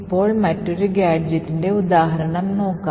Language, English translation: Malayalam, So, let us take a few examples of gadgets